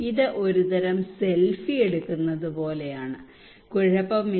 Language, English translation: Malayalam, It is like a kind of taking selfie, it is okay